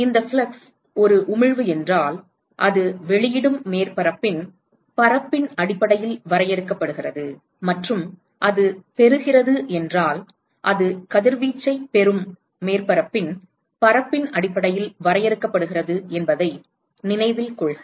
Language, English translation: Tamil, And note that these flux is defined based on the if it is an emission, it is defined based on the area of the surface which is emitting and if it is receiving it is based on the area of the surface which is receiving radiation